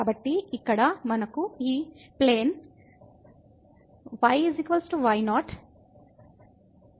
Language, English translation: Telugu, So, here we have this plane is equal to